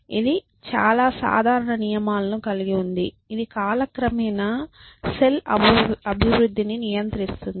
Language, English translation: Telugu, So, you have this, very simple rules which control how a cell evolves over time